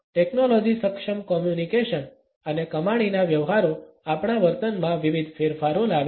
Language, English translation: Gujarati, Technology enabled communications and earning transactions bring about various changes in our behaviours